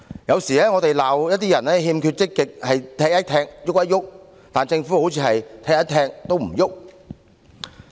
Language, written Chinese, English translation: Cantonese, 有時我們罵一些人欠缺積極是"踢一踢，郁一郁"，但政府卻像是"踢一踢，都唔郁"。, Sometimes we blame some people who only make a move after being given a kick for being very passive and showing no zeal at all . However the Government actually does not make any move even when being given a kick